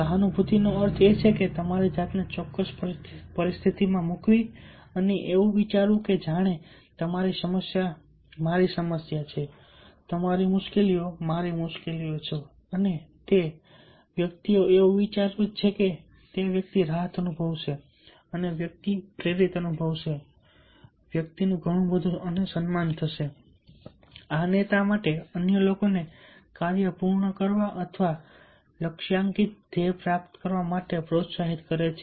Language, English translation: Gujarati, empathy means putting yourself in that particular situation and thinking that, as if your problem is my problem, your difficulties are my difficulties, and a person is thinking that way, the person will feel relief, the person will feel motivated, the person will have lots of respect for you